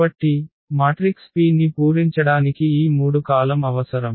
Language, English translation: Telugu, So, we need this 3 columns to fill the matrix P